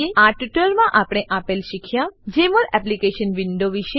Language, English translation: Gujarati, In this tutorial we learnt#160: * About Jmol Application window